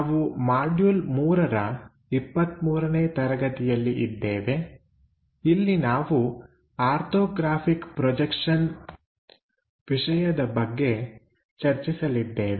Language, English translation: Kannada, We are in module number 3, lecture number 23, where we are covering Orthographic Projections